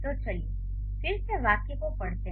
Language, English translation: Hindi, So, let's read the sentence again